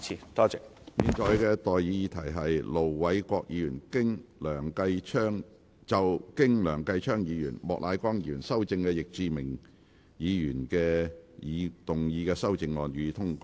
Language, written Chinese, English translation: Cantonese, 我現在向各位提出的待議議題是：盧偉國議員就經梁繼昌議員及莫乃光議員修正的易志明議員議案動議的修正案，予以通過。, I now propose the question to you and that is That Ir Dr LO Wai - kwoks amendment to Mr Frankie YICKs motion as amended by Mr Kenneth LEUNG and Mr Charles Peter MOK be passed